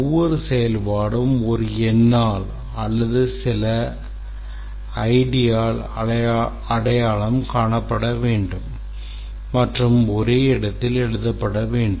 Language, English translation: Tamil, Each function should be identifiable by a number or something and should be written at one place